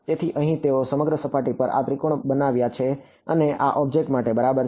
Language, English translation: Gujarati, So, here they have made these triangles all over the surface and these are conformal to the object ok